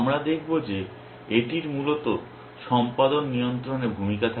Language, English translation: Bengali, We will see that this plays a role in the control of the execution essentially